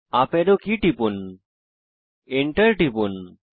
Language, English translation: Bengali, Press the up arrow key, press enter